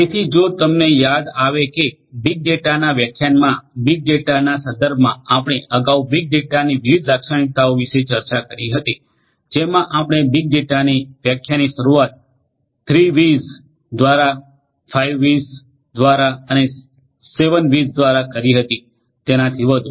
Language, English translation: Gujarati, So, if you recall that in the context of big data in the lecture on big data we earlier discussed about the different characteristics of big data, we talked about the definitions of big data starting from 3 V’s, through 5 V’s, through 7 V’s and so on